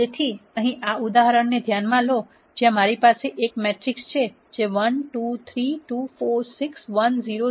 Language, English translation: Gujarati, So, consider this example here where I have this a matrix which is 1, 2, 3, 2, 4, 6, 1, 0, 0